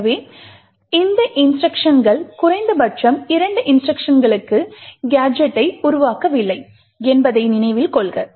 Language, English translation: Tamil, So, note that these instructions atleast these two instructions do not form a gadget